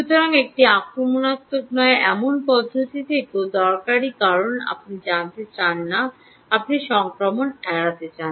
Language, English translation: Bengali, so from a non in, from, from, from a non invasive method is also useful, because you dont want to, you want to avoid infections